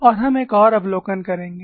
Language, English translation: Hindi, And we will also have one more observation